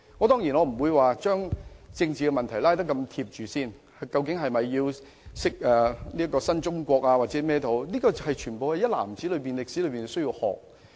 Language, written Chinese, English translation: Cantonese, 當然，我不會把政治問題與這件事緊扣一起，例如是否應教授新中國歷史之類，但所有歷史一籃子都需要學習。, Of course I will not bundle political issues with this matter say whether the history of new China should be taught and so on . But I think students should learn history in a holistic manner